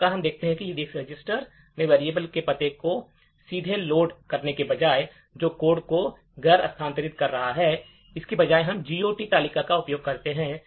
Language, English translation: Hindi, Thus, we see that instead of directly loading the address of the variable into the EDX register which is making the code non relocatable, instead we use the GOT table